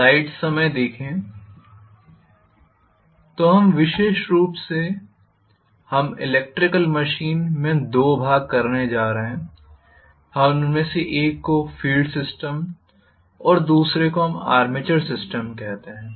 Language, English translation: Hindi, So specifically we are going to have two portions in the electrical machine, we are going to have one of them as field system the other one we call that as armature system